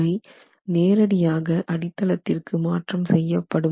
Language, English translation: Tamil, This is directly transferred to the foundation